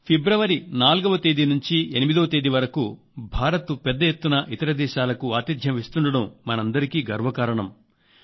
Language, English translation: Telugu, My dear countrymen, it is a matter of pride that India is hosting a major event from 4th to 8th of February